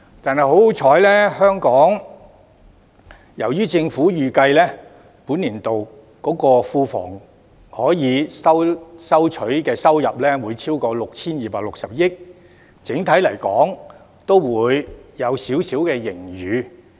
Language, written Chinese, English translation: Cantonese, 幸好，政府預計本年度庫房可以收取的收入會超過 6,260 億元，整體而言會有少許盈餘。, Thankfully the Government has projected that the Treasury will collect over 626 billion in revenue this year which will generate a small overall surplus